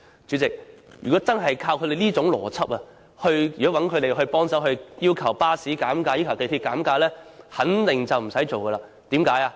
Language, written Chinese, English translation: Cantonese, 主席，如果用他們這種邏輯，找他們幫忙要求巴士公司或港鐵公司減價便肯定不成事，為甚麼呢？, President bearing that kind of logic they surely cannot help at all in asking the bus companies or MTR Corporation Limited to reduce fares . Why?